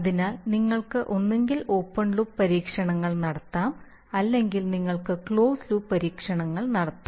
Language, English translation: Malayalam, So typically you can have either open loop response, open loop experiments or you can have closed loop experiments so we are going to look at these two